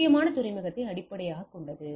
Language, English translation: Tamil, So, the predominant is the port based